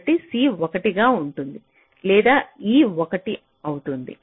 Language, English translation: Telugu, so c will be one or e will be one